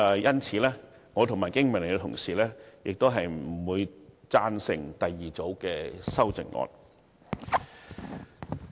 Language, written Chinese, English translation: Cantonese, 因此，我和經民聯同事不會贊成第二組修正案。, Therefore my BPA colleagues and I are not going to support the second set of amendment